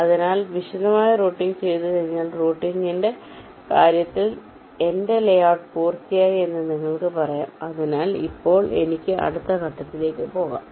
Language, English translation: Malayalam, so once detailed routing is done, you can say that, well, my layout in terms of routing is complete, so now i can move on to the next step